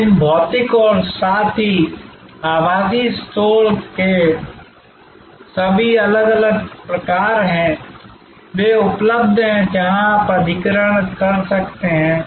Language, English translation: Hindi, So, there are all these different types of these physical as well as virtual stores; that are available, where you can acquire